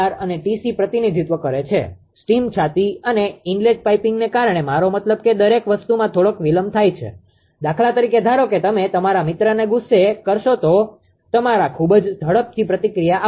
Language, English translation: Gujarati, T t T r and T c represent delays due to steam chest and inlet piping, I mean everything has some delays right ah for example, suppose you make your friend angry some some of your friend will react to very quickly